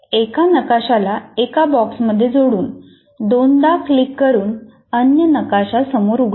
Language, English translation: Marathi, You can by linking one map to the one box, by double clicking the other map will open up in front